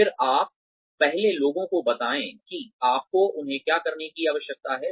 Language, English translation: Hindi, Then, you first tell people, what you need them to do